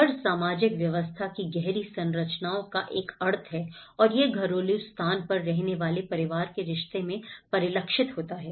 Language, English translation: Hindi, The home is a connotative of the deep structures of the social system and how these are reflected in familyís relationship to the domestic space it occupies